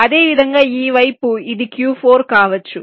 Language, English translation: Telugu, similarly, on this side, this can be q four